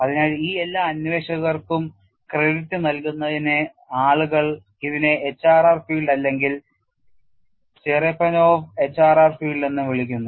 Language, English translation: Malayalam, So, in order to give credit to all these investigators, people calling it as HRR field or Cherepanov HRR field, but famously know as HRR field